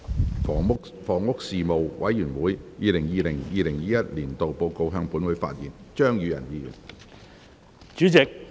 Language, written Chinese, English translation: Cantonese, 張宇人議員就"房屋事務委員會 2020-2021 年度報告"向本會發言。, Mr Tommy CHEUNG will address the Council on the Report of the Panel on Housing 2020 - 2021